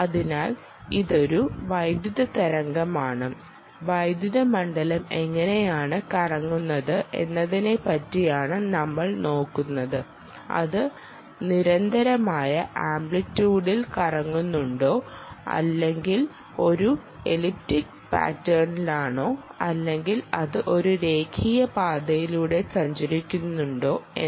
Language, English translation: Malayalam, so this is an electric wave and we had looking about, talking about the, the relation of how the electric field is rotating, whether its rotating in constant amplitude or its in an elliptic pattern or whether its moving along a linear path